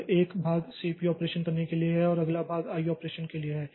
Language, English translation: Hindi, So, one part is for doing the CPU operation and the next part is for the I